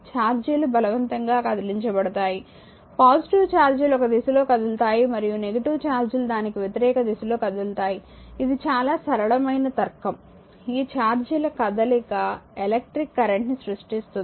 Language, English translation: Telugu, So, what will happen, charges are compute to move positive charge is move in one direction and the negative charges move in the opposite direction a very simple logic this motion of charge is create electric current